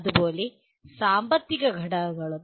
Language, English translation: Malayalam, Similarly, economic factors